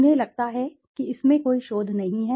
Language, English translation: Hindi, They feel that this research there is no research in it